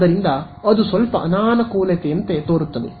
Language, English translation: Kannada, So, that seems like a bit of a disadvantage